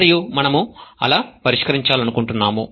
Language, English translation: Telugu, And that is what we want to solve